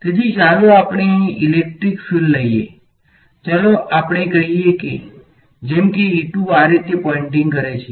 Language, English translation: Gujarati, So, let us take a electric field over here let us say, like let us say E 2 is pointing like this right